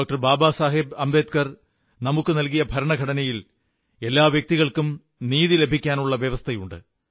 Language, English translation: Malayalam, Baba Saheb Ambedkar there is every provision for ensuring justice for each and every person